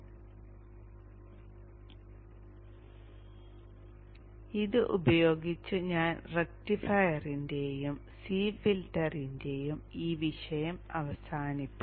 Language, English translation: Malayalam, So with this I will close this topic of rectifier and C filter